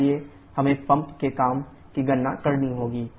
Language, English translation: Hindi, And similarly the pump work we can easily calculate